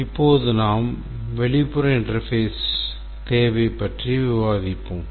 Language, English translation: Tamil, Now first let's look at the external interface